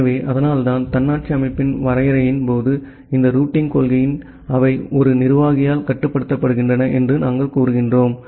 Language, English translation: Tamil, So, that’s why in case of the definition of autonomous system, we say that this routing policies they are controlled by a single administrator